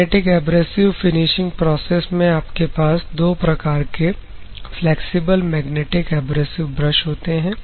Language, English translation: Hindi, So, magnetic abrasive finishing process you have 2 varieties of flexible magnetic abrasive brush